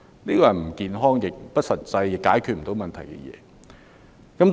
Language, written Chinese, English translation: Cantonese, 這是不健康、不實際，亦不能解決問題的。, It is an unhealthy and impractical approach which cannot bring about any solution